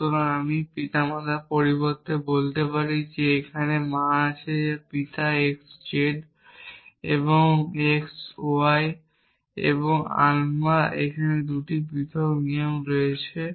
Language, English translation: Bengali, So, let me say instead of parent I have mother here father x z father z y I have 2 separate rules